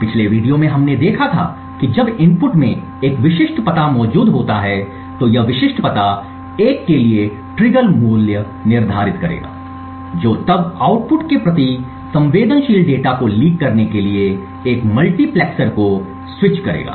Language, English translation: Hindi, Now we have seen examples of this in the previous videos we had seen how when a specific address is present in the input this specific address would then set a trigger value to 1 which would then switch a multiplexer to leak sensitive data to the output